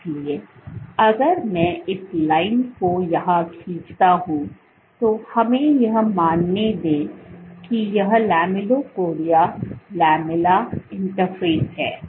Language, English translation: Hindi, So, if I draw this line here let us say let us assume this is the interface this is the lamellipodia lamella interface